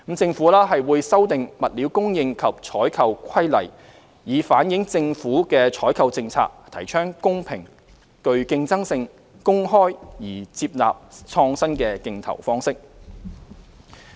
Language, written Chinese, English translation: Cantonese, 政府會修訂《物料供應及採購規例》，以反映政府採購政策提倡公平、具競爭性、公開而接納創新的競投方式。, The Government will amend the Stores and Procurement Regulations to reflect that the government procurement policies promote fairness competitiveness and openness and innovative bidding methods are accepted